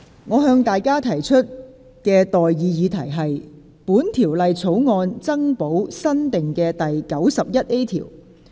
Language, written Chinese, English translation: Cantonese, 我現在向各位提出的待議議題是：本條例草案增補新訂的第 91A 條。, I now propose the question to you and that is That the new clause 91A be added to the Bill